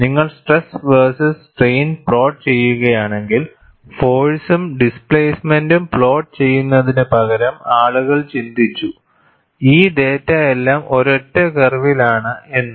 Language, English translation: Malayalam, Then people thought, instead of plotting force versus displacement, if you plot stress versus strain, all of this data bundled in a single curve